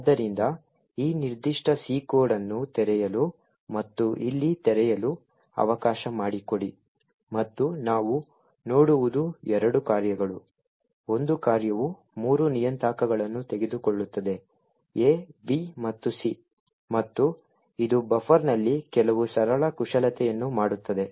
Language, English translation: Kannada, So, lets open this particular C code and open it over here and what we see is two functions, one is a function which takes three parameters a, b and c and it does some simple manipulations on a buffer